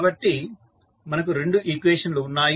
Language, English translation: Telugu, Now, we have got these two equations